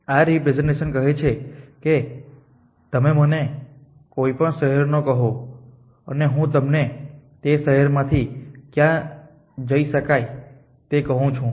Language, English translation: Gujarati, This representation says that you tell me any city and I tell you where to go from that city